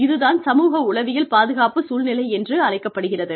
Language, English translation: Tamil, That is called, the psychosocial safety climate